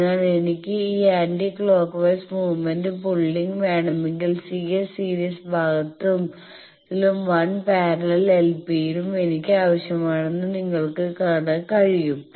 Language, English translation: Malayalam, So, you can see that if I want this anti clockwise movement pulling then I need C S in the series part and 1 parallel l p